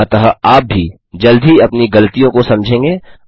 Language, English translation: Hindi, So you, too, will soon realize your mistakes